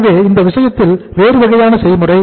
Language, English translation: Tamil, so in that case that is a different process